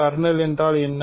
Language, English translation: Tamil, What is kernel